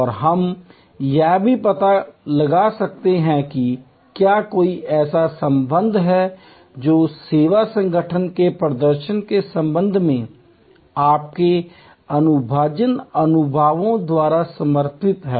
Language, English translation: Hindi, And we may also explore that whether there is a linkage that is supported by your empirical experiences with respect to the service organizations performance